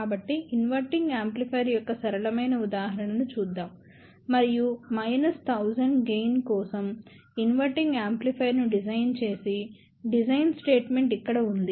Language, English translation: Telugu, So, let us see a simple example of an inverting amplifier and we have a design statement here, that design an inverting amplifier for a gain of minus 1000